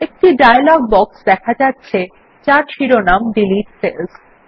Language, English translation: Bengali, A dialog box appears with the heading Delete Cells